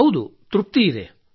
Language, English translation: Kannada, Yes, there is satisfaction